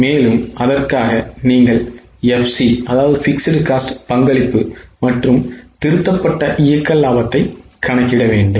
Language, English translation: Tamil, And for that you have to calculate contribution, EPC and revised operating profit